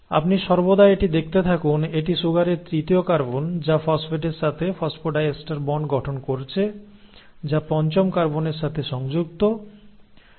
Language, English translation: Bengali, So you always find at, this is the third carbon of the sugar which is forming the phosphodiester bond with the phosphate which is attached to the fifth carbon